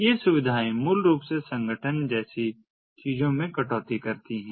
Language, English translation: Hindi, these features basically cuts across things such as organization